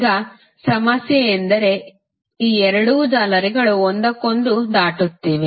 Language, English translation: Kannada, Now, the problem is that these two meshes are crossing each other